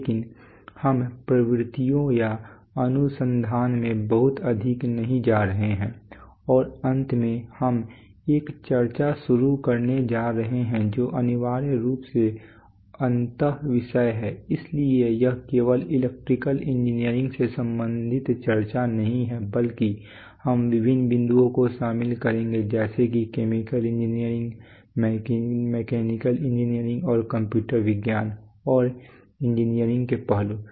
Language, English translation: Hindi, But we are not going to delve too much into the trends or too much into research and finally we are going to embark on a discussion which is essentially interdisciplinary, so it’s not going to be a discussion only related to electrical engineering but we will involve various aspects of chemical engineering, mechanical engineering and computer science and engineering